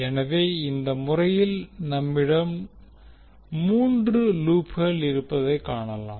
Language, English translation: Tamil, Now, in this case, we see there are three loops